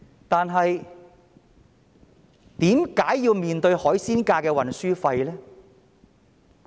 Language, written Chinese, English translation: Cantonese, 但是，他們為甚麼要面對海鮮價的運輸費呢？, However why did it have to face fluctuating transportation fees?